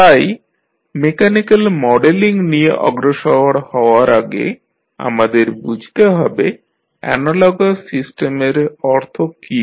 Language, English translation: Bengali, So, before proceeding to the mechanical modeling, let us understand what the analogous system means